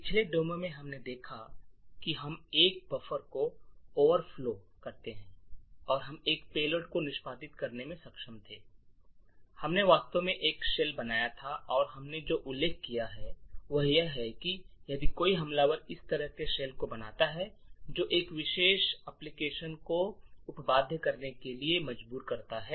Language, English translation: Hindi, So in the previous demo what we have seen is that we overflowed a buffer and we were able to execute a payload and we actually created a shell and what we mentioned is that if an attacker creates such a shell forcing a particular application to be subverted from its execution, the attacker would be able to run whatever is possible from that shell